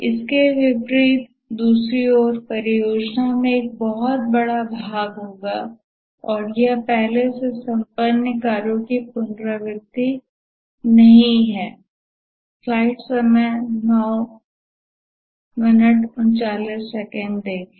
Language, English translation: Hindi, On the other hand, in contrast to this, in project it will be much more large and it's not a repetition of a previously accomplished task